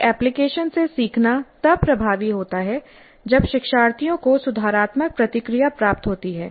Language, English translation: Hindi, Learning from an application is effective when learners receive corrective feedback